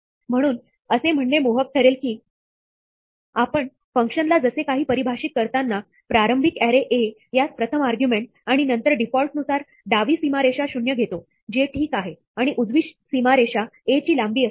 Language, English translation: Marathi, So, it would be tempting to say that, we define the function as something which takes an initial array A as the first argument, and then, by default takes the left boundary to be zero, which is fine, and the right boundary to be the length of A